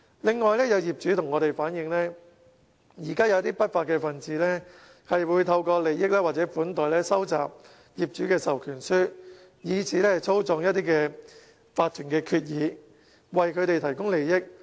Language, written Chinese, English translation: Cantonese, 此外，有業主向我們反映，現時有一些不法分子透過利益或款待收集業主的授權書，以此操縱法團決議，為他們提供利益。, Certain owners have told us of the unlawful practices to collect proxies from owners by means of offering benefits or hospitality so that these lawless people can manipulate the voting results to their benefit